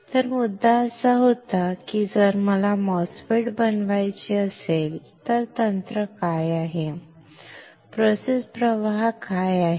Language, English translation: Marathi, So, the point was that if I want to fabricate a MOSFET then what is the technique, what are the process flow